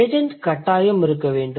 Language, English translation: Tamil, So, there must be an agent